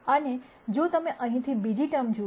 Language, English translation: Gujarati, And if you look at the second term here